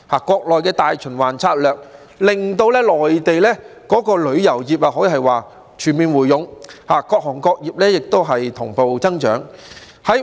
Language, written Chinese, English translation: Cantonese, 國內的"大循環策略"令到內地旅遊業全面回勇，各行各業同步增長。, The countrys domestic circulation strategy has significantly boosted the local tourism industry thereby enabling business of all trades and industries to grow simultaneously